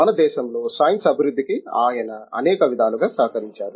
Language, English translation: Telugu, He has contributed in many many ways to the development of science in our country